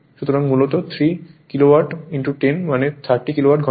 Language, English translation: Bengali, So, basically 3 Kilowatt into 10 means 30 Kilowatt hour right